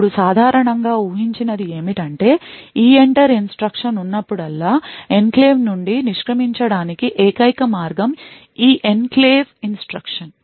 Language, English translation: Telugu, Now typically what is expected is that whenever there is EENTER instruction the only way to exit from the enclave is by this Enclave instruction